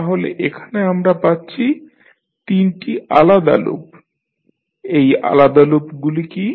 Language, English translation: Bengali, So, here we will have three individual loop, what are those individual loops